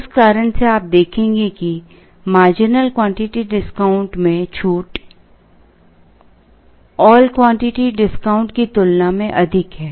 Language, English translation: Hindi, For that reason you will see that the discount is higher in the marginal quantity, than in the all quantity discount